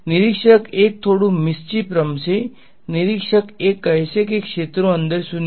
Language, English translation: Gujarati, Observer 1 is going to play little bit of a mischief, observer 1 is going to say fields are 0 inside